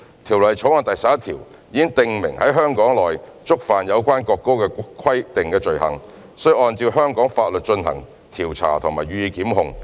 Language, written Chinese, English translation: Cantonese, 《條例草案》第11條已訂明在香港內觸犯有關國歌的規定的罪行，須按照香港法律進行調查及予以檢控。, Clause 11 of the Bill has already stipulated that offences in relation to the national anthem in Hong Kong are investigated and persons are prosecuted according to the laws of Hong Kong